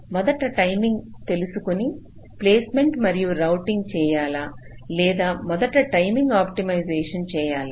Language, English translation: Telugu, shall you do placement and routing that are timing aware first, or shall you do the timing optimization first